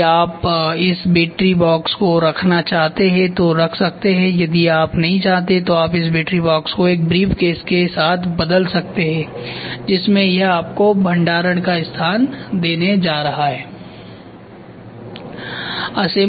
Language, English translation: Hindi, If you want you can keep this battery box if you do not want you can replace this battery box, with a briefcase where in which it is use it is going to give you a storage space